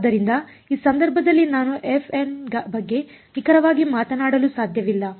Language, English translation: Kannada, So, I cannot talk of f of m exactly in this case